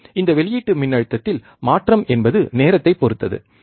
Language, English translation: Tamil, And the change in output voltage is with respect to time